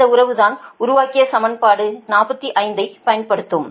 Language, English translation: Tamil, this relationship will use this equation number